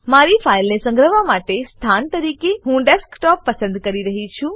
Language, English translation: Gujarati, I am choosing Desktop as the location for saving my file